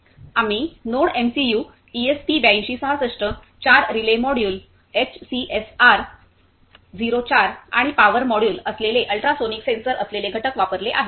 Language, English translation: Marathi, We have used components which are NodeMCU ESP8266, four relay module, ultrasonic sensor that is HCSR04 and a power module